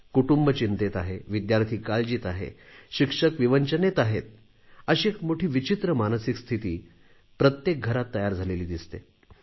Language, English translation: Marathi, Troubled families, harassed students, tense teachers one sees a very strange psychological atmosphere prevailing in each home